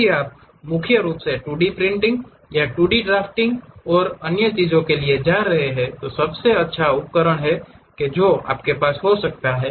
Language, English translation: Hindi, If you are mainly going for 2D printing or 2D drafting, blueprints and other things this is the best tool what one can have